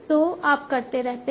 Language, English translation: Hindi, So keep on doing the stuff